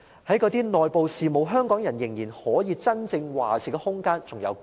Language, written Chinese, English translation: Cantonese, 在那些內部事務，香港人仍然可以真正作主的空間有多少？, How much room is still left for the Hong Kong people to really make decisions on the internal affairs?